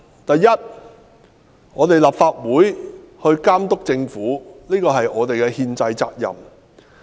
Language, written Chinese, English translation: Cantonese, 第一，監督政府是立法會的憲制責任。, First the Legislative Council has the constitutional duty to monitor the Government